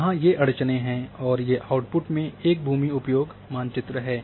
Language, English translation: Hindi, So, these are the constraints and these are the input through a land cover map